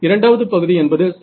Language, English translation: Tamil, The second term right